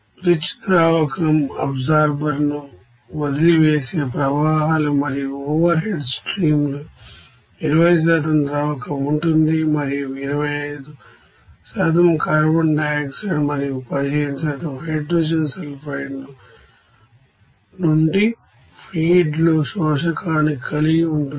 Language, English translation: Telugu, The rich solvent is streams leaving the absorber is flashed and the overhead stream consists of 20% solvent and contains 25% of the carbon dioxide and 15% of the hydrogen sulfide in the raw feed to the absorber